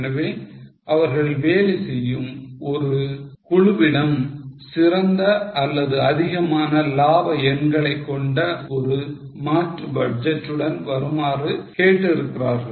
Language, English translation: Tamil, So, they have asked a working party to come up with alternate budgets with better or higher profit figures